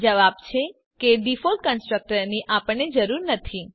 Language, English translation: Gujarati, The answer is we dont need the default constructor